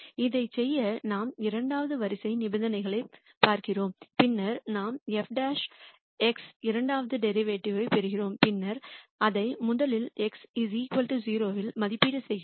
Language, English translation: Tamil, To do that we look at the second order conditions and then we get f double prime x the second derivative and then we rst evaluate it at x equal to 0